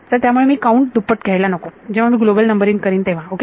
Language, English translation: Marathi, So, I should not double count when I am doing the global numbering that is all ok